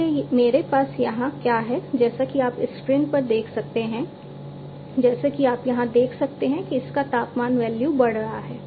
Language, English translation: Hindi, So, what I have over here as you can see on the screen as you can see over here the temperature value it is increasing, right